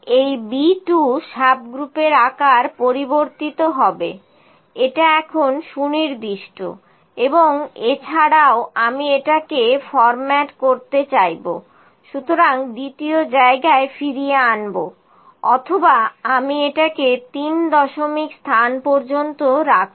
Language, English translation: Bengali, This B 2 subgroup size will vary this is fixed now and I would also like to format it were bring it back to the second place of or I can put it to the third place of decimals